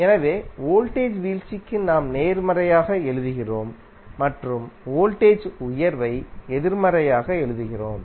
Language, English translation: Tamil, So, for voltage drop we are writing as positive and voltage rise we are writing as negative